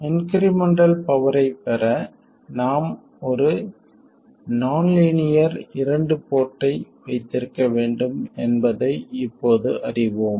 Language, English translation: Tamil, We now know that in order to have incremental power gain, we need to have a nonlinear 2 port